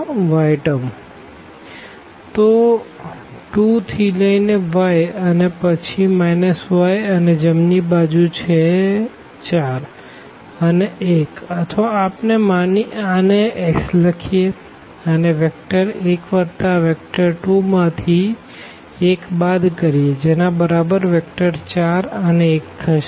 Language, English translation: Gujarati, So, 2 to y and then the minus y here and then the right hand side is 4 and 1 or we can write down this as x and the vector 1 1 plus this y and this vector 2 minus 1 is equal to this vector 4 and 1